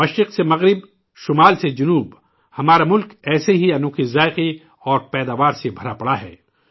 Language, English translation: Urdu, From East to West, North to South our country is full of such unique flavors and products